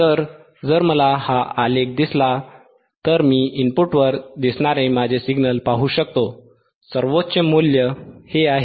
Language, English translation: Marathi, So, if I just see this graph, right then I can see that my signal that appeared at the input, the peak value is this one,